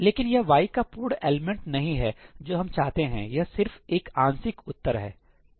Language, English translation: Hindi, But that is not the complete element of y that we want, that is just a partial answer, right